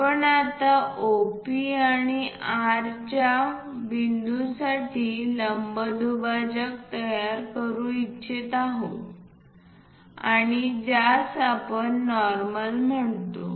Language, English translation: Marathi, Now, we will like to construct a perpendicular bisector for OP and R kind of point and this one what we are calling as normal